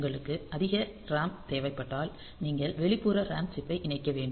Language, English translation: Tamil, So, if you need more RAM space then you have to connect external RAM chip